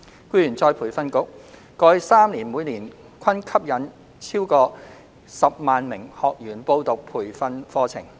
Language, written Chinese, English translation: Cantonese, 僱員再培訓局過去3年每年均吸引逾10萬名學員報讀培訓課程。, The Employees Retraining Board ERB attracted more than 100 000 trainees annually to enrol in its training courses in the past three years